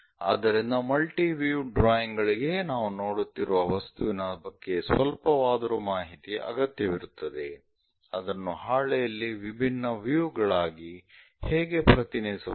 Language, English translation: Kannada, So, multi view drawings always requires slight inclusion about the object what we are looking, how to represent that into different views on the sheet